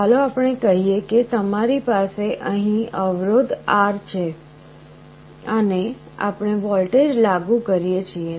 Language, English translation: Gujarati, Let us say you have a resistance R here and we apply a voltage